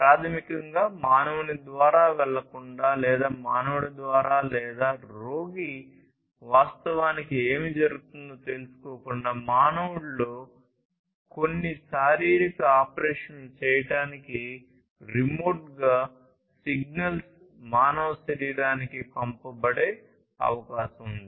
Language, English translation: Telugu, So, it is now possible that remotely you could send signals to the human body to perform certain physiological operations within a human, without basically having the human go through or rather the human being or the patient being able to know what is actually happening